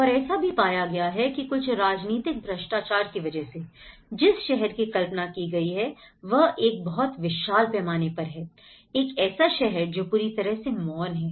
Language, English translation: Hindi, And also, some political corruptions and what they have envisioned about the city and what they have got is a complete vast scale of a city which is utterly silence